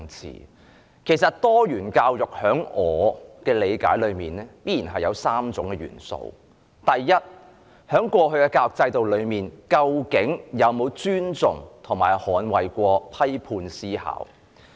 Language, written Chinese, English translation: Cantonese, 以我理解，多元教育一直包括3種元素：第一，過去的教育制度究竟有否尊重及捍衞批判思考？, To my understanding diversified education has all along comprised three elements . First has the education system in the past respected and safeguarded critical thinking?